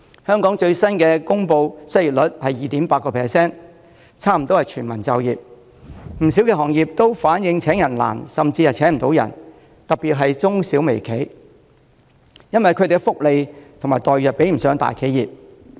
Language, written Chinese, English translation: Cantonese, 香港最新公布的失業率為 2.8%， 差不多是全民就業，不少行業均反映請人難甚至請不到人，特別是中小微企，因為他們提供的福利和待遇不及大企業。, The latest unemployment rate of 2.8 % in Hong Kong shows that our economy is close to full employment . Various trades and industries have indicated the difficulties and even inability to recruit staff particularly micro small and medium enterprises MSMEs as the benefits and remunerations offered are not as good as that of big enterprises